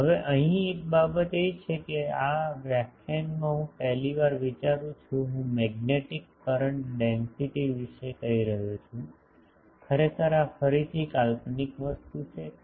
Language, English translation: Gujarati, Now, here there is a thing that for the first time I think in this lecture, I am telling about magnetic current densities actually this is a again I am hypothetical thing